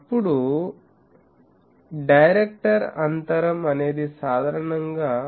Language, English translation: Telugu, Then director spacing; that is typically 0